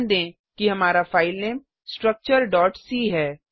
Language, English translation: Hindi, Note that our filename is structure.c